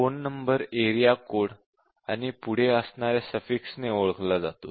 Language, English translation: Marathi, Now, what about a phone number which is given by area code and a suffix